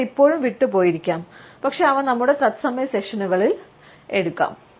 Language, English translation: Malayalam, Some maybe is still left out, but they can be taken up during our live sessions